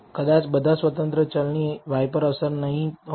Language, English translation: Gujarati, Maybe not all independent variables have an effect on y